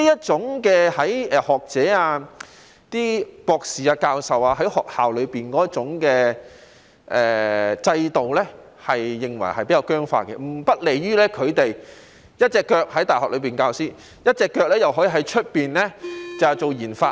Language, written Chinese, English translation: Cantonese, 這些學者、博士、教授認為學校裏的制度比較僵化，不利於他們一邊在大學授課，一邊在外面做研發。, These academics doctors and professors think that the system in schools is relatively rigid . It is not conducive to their teaching in universities on the one hand and doing RD outside on the other